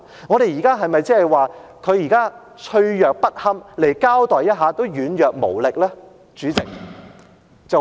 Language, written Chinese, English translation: Cantonese, 我們現在是否說他們脆弱不堪，來交代一下也軟弱無力呢？, Are we saying now that they are too vulnerable and feeble to give an explanation?